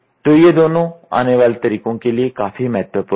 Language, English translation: Hindi, So, these two are also important in the coming way